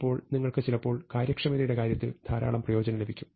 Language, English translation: Malayalam, Then you can sometime get a lot of benefit in terms of efficiency